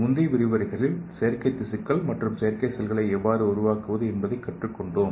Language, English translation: Tamil, So in the previous lecture we have leant how to make artificial tissues and artificial cells